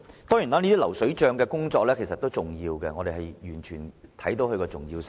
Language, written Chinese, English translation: Cantonese, 當然，這些工作都屬重要，我們完全明白它們的重要性。, These efforts are certainly important and we can fully appreciate their significance